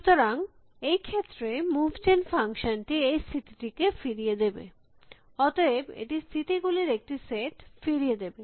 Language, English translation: Bengali, So, in this case the move gen function will return this state and this state, so it will return a set of states